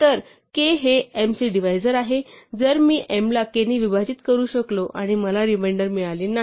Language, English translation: Marathi, So k is a divisor of m; if I can divide m by k and get no reminder